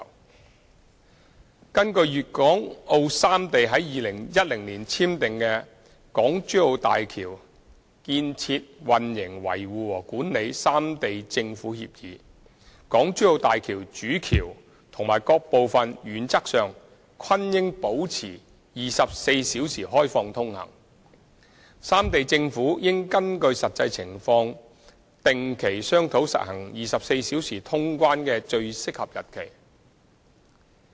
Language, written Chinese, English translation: Cantonese, 二根據粵港澳三地於2010年簽訂的《港珠澳大橋建設、運營、維護和管理三地政府協議》，大橋主橋及各部分原則上均應保持24小時開放通行，三地政府應根據實際情況定期商討實行24小時通關的最合適日期。, 2 In 2010 Guangdong Hong Kong and Macao concluded an agreement on the construction operation maintenance and management of HZMB . According to the agreement the Main Bridge and other parts of HZMB should in - principle be open for access on a 24 - hour basis and the three governments should regularly discuss the best date for implementing 24 - hour clearance in the light of actual circumstances